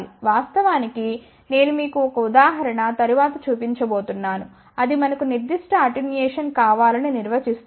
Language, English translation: Telugu, In fact, I am going to show you later an example, that where if it is defined that we want certain attenuation